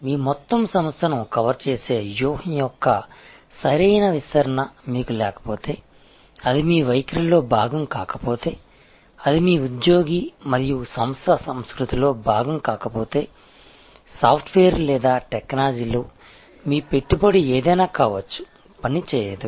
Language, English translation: Telugu, If you do not have a proper deployment of strategy that covers your entire organization, if it is not a part of your attitude, if it is not part of your employee and organization culture, then whatever maybe your investment in software or technology, it will not work